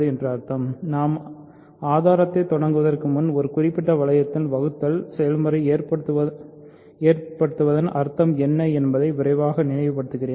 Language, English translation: Tamil, So, before we start the proof, let me quickly recall what it means for division to happen in a certain ring